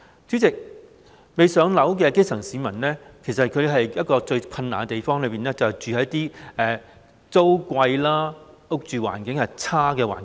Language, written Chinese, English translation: Cantonese, 主席，未"上樓"的基層市民面對最困難的是租金昂貴、住屋環境差劣。, President the most difficult thing facing those grass - roots people who are still waiting for housing is that rentals are expensive and living conditions are poor